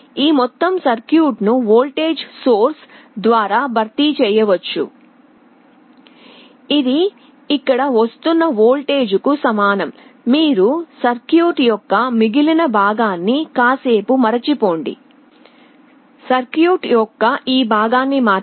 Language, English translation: Telugu, This whole circuit can be replaced by a voltage source which is equal to the voltage that is coming here; you forget the remainder of the circuit, forget this part of the circuit only this part